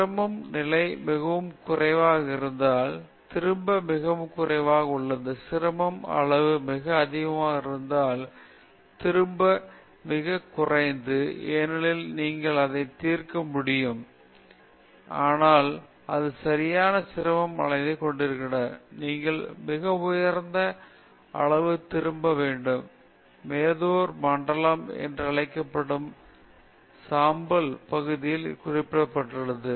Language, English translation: Tamil, If the difficulty level is very low, the return is very low; if the difficulty level is very high, the return is also very low, because you may not be able to solve it, but if it has the right difficulty level, then you have the return is very high; that is indicated in the grey area that is called the Medawar zone